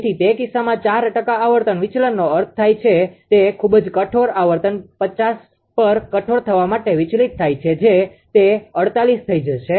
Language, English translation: Gujarati, So, in that case that four percent frequency deviation means it will, that is too harsh frequency deviate to harsh on 50 that it will become 48